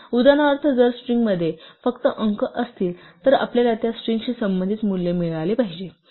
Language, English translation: Marathi, So, for instance if the string consists only of digits then we should get a value corresponding to that string